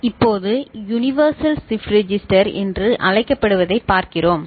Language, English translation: Tamil, Now, we look at what is called universal shift register